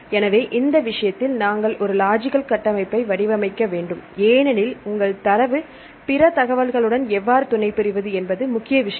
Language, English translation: Tamil, So, in this case we have to frame a logical structure, the major thing is your data and how to supplement with other information right